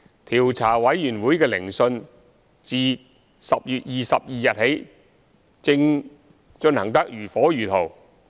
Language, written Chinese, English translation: Cantonese, 調查委員會的聆訊自10月22日起，正進行得如火如荼。, Commencing on 22 October the COIs substantive hearing has been in full swing at the moment